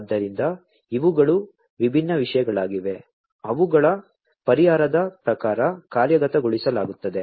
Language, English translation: Kannada, So, these are the different things, that are implemented as per their solution